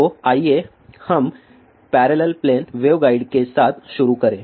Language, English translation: Hindi, So, let us begin with parallel plane waveguide